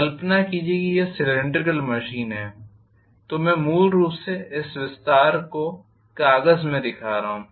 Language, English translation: Hindi, It is Imagine if the cross section and it is cylindrical machine so I am showing essentially this expanding into the paper